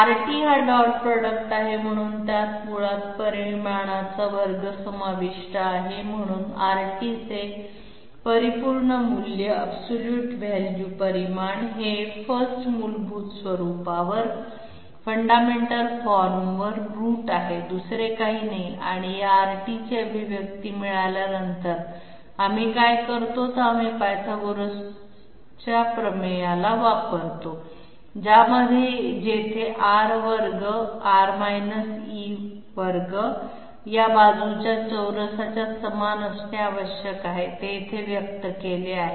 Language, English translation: Marathi, So that R t the this is the dot product, so it basically it involves the square of the magnitude therefore, the absolute value magnitude of R t is nothing but root over 1st fundamental form and after getting an expression of this R t, what we do is we bring in Pythagoras theorem where R square R e square must be equal to this side square, this is expressed here